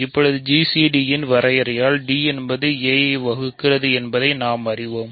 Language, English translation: Tamil, Now, we know that d divides by definition of g c d, d divides a